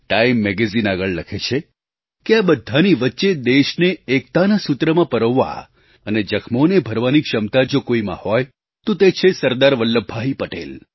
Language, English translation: Gujarati, The magazine further observed that amidst that plethora of problems, if there was anyone who possessed the capability to unite the country and heal wounds, it was SardarVallabhbhai Patel